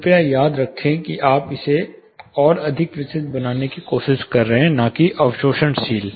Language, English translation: Hindi, Please remember you are trying to make it more diffusive not just absorptive